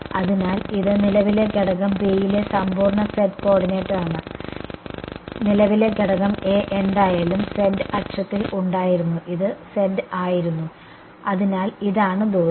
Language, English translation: Malayalam, So, this is the absolute z coordinate on current element B and current element A was anyway on the z axis was this was z right, so this is the distance